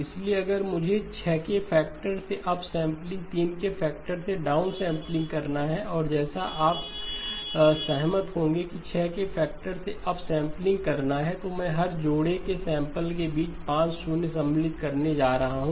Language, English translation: Hindi, So if I have upsampling by a factor of 6, downsampling by a factor of 3 okay and as you will agree, that up sampling by a factor of 6 is I am going to insert 5 zeros between every pair of samples